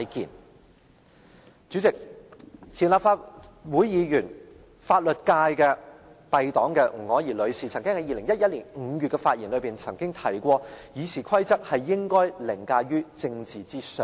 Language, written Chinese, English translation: Cantonese, 代理主席，前立法會議員，來自法律界敝黨的吳靄儀女士曾經在2011年5月的發言中提出《議事規則》應該凌駕於政治之上。, Deputy President Ms Margaret NG former Member of the legal profession and also a member of our party said in May 2011 that RoP should be above politics